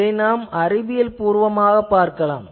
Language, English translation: Tamil, And so, we will see this thing scientifically